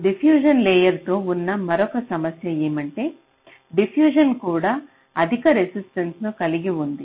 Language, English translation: Telugu, so an another problem with the diffusion layer is that diffusion is also having high resistance